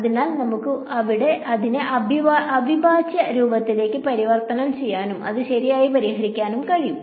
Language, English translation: Malayalam, So, we can convert it to integral form and solve it that way as well right